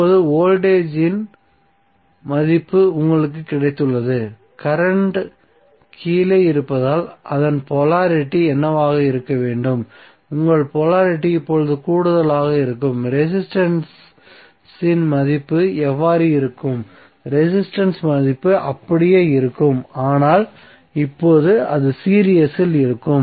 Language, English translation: Tamil, Now, you have got the value of voltage what should be its polarity since, current is down ward so, your polarity will be plus now, what would be the value of resistance, resistance value will remain same but, now it will be in series